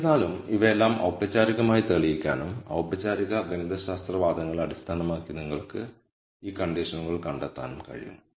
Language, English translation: Malayalam, However, all of this can be formally proved and you can derive these conditions based on formal mathematical arguments